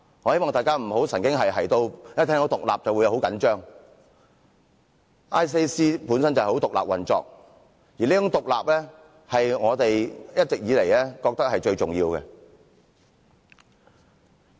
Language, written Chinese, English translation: Cantonese, 我希望大家不要神經兮兮地一聽到"獨立"便很緊張 ，ICAC 本身就是獨立運作的，而這種獨立是我們一直以來皆認為是最重要的。, I hope that Members will not be oversensitive about the word independence . ICAC for instance operates independently and such independence has been of great importance to us